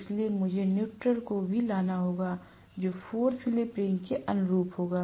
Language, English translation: Hindi, So, I might have to bring the neutral also which will correspond to the 4 slip rings